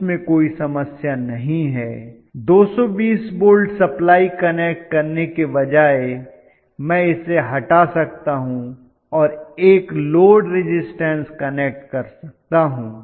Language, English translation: Hindi, That is not a problem rather than connecting a DC supply 220 volts DC I can remove that and connect a load, resistance load